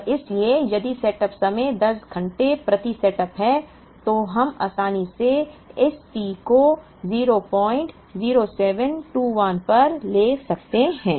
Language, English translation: Hindi, And therefore, if the setup time is 10 hours per setup, we can conveniently take this T to be 0